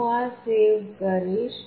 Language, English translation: Gujarati, I will save this